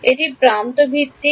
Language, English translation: Bengali, This is edge based